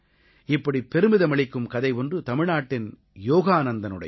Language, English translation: Tamil, Somewhat similar is the story of Yogananthan of Tamil Nadu which fills you with great pride